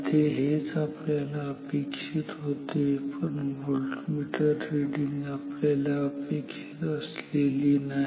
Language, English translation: Marathi, It is exactly what we want, but the voltmeter reading is not what we want